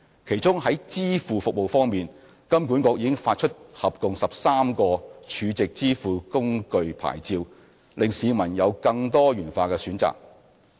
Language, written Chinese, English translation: Cantonese, 其中在支付服務方面，金管局已發出合共13個儲值支付工具牌照，令市民有更多元化的選擇。, Regarding payment services HKMA has already granted a total of 13 Stored Value Facility licences so as to offer more diversified choices to the public